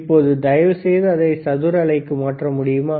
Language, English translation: Tamil, Now, can you change it to square wave please